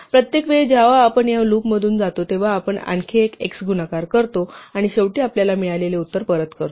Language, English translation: Marathi, Each time we go through this loop we multiply one more x and finally we return the answer that we have got